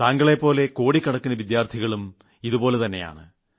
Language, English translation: Malayalam, And there must be crores of students like you